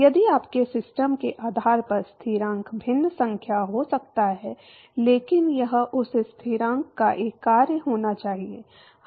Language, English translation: Hindi, If the constant can be different number depending upon your system, but it has to be a function of that constant